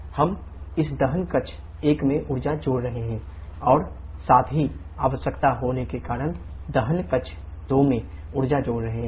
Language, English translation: Hindi, We are adding energy in this combustion chamber 1 and also adding the energy in the combustion chamber 2 because of the reheating requirement